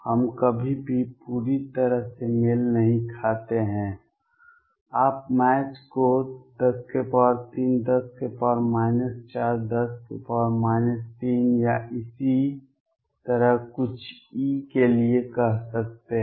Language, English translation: Hindi, We never get into match perfectly you can say the match within 10 raise to 3 10 raise to minus 4 10 raise to minus 3 or So on for certain E